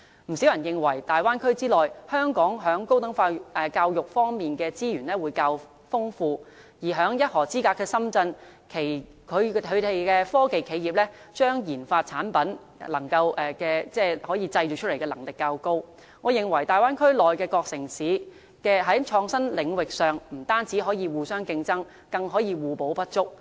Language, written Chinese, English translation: Cantonese, 不少人認為在大灣區內，香港在高等教育方面的資源較為豐富，而在一河之隔的深圳，其科技企業把研發產品製造出來的能力較高，我認為大灣區的各城市在創新領域上不僅可以互相競爭，更可互補不足。, Many people think that Hong Kong has injected more resources in tertiary education while Shenzhen which is located across the river is more capable of manufacturing products derived from research and development of scientific and technological companies . I hold that cities in the Bay Area can be reciprocal apart from rival to each other